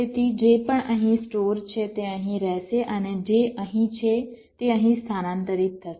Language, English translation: Gujarati, so whatever is stored here, that will remain here, and whatever is here will get transferred here